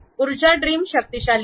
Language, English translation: Marathi, Power trim is really powerful